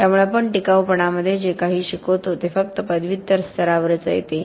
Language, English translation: Marathi, So lot of what we teach in durability only comes at the post graduate level